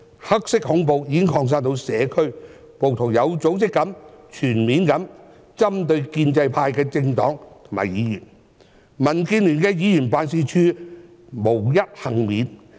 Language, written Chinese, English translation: Cantonese, "黑色恐怖"已經擴散到社區，暴徒有組織地、全面地針對建制派政黨和議員，民建聯的議員辦事處無一幸免。, Local communities are now under the threats of black terror because rioters have targeted their attacks at political parties and groups as well as members from the pro - establishment camp in an organized and comprehensive manner and none of the members offices of DAB can escape their attacks